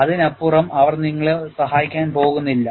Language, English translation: Malayalam, Beyond that, they are not going to help you